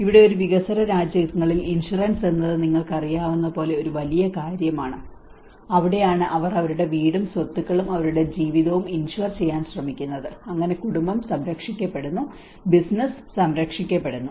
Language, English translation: Malayalam, Here in a developing countries, insurance is one big thing you know that is where the whole they try to insure their home, their properties, their life so, in that way the family is protected, the business is protected